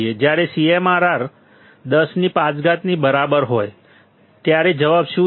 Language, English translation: Gujarati, When CMRR is equal to 10 raised to 5, what is the answer